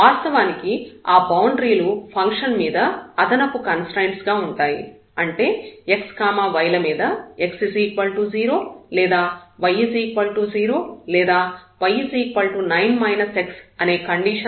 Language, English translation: Telugu, So, those boundaries were actually the additional constraint on the function that x y satisfies either x is equal to 0 or y is equal to 0 or there was a line there y is equal to 9 minus x